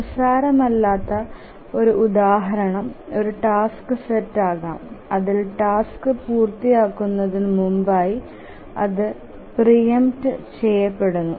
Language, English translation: Malayalam, A non trivial example can be a task set in which the task is preempted before completion